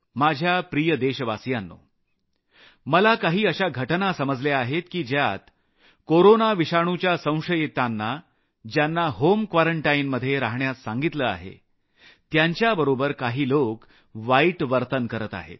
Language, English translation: Marathi, My dear countrymen, I have come to know of some instances, that some of those people who were suspected to have corona virus and asked to stay in home quarantine, are being illtreated by others